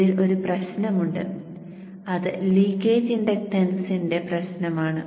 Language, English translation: Malayalam, There is one problem in this and that is the issue of leakage inductance